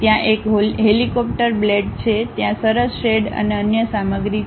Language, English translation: Gujarati, There is a helicopter blades, there is a nice shade, and other materials